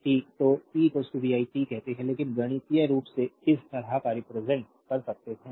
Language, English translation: Hindi, So, p is equal to vi say t, but mathematically you can represent like this